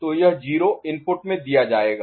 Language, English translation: Hindi, So, this 0 will be fed in